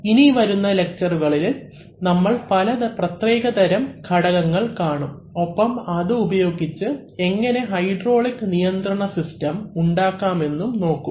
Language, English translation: Malayalam, In the subsequent lectures, we shall see some special components and we shall see as to how these components can be used to make a hydraulic control system